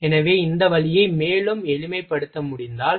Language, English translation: Tamil, So, if this route can be simplified further